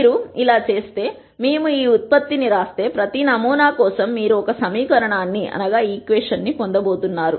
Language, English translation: Telugu, So, if we keep going down, for every sample if you write this product, you are going to get an equation